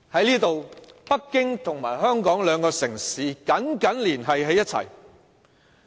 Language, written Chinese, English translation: Cantonese, 那時，北京和香港兩個城市緊緊連繫起來。, At that time the two cities of Beijing and Hong Kong were closely connected with each other